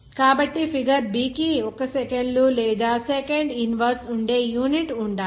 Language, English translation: Telugu, So the figure b must have a unit that is 1 by seconds or second inverse